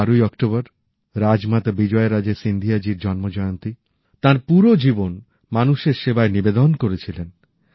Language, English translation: Bengali, This 12th of October is the birth anniversary of Rajmata Vijaya Raje Scindia ji too She had dedicated her entire life in the service of the people